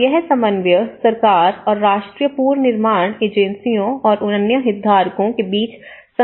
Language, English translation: Hindi, Now, this is coordination and the institutional mechanism between the government and the national reconstruction agencies and other stakeholders